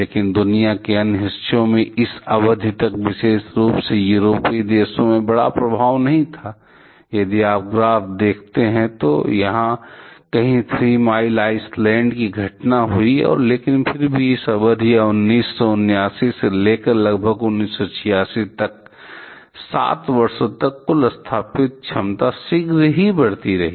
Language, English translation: Hindi, But in other part of the world there were not big effect, particular in European countries till this period like; if you see from the graph Three Mile Island happens; somewhere here and but still over this period or something like 7 years from 1979 to about 1986, the total installed capacity kept on increasing shortly